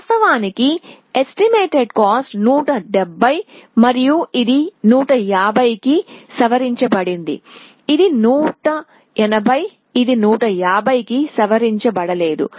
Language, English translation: Telugu, Originally the estimated cost was 170 and it got revised to 150 here, it was 180 it never got revised to 150